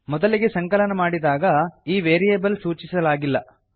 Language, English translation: Kannada, On first compilation, this variable is not assigned